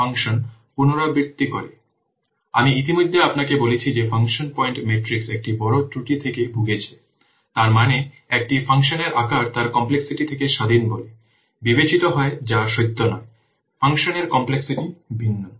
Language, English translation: Bengali, So I have already told you that function point matrix suffers from a major drawback, that means the size of a function is considered to be independent of its complexity, which is not true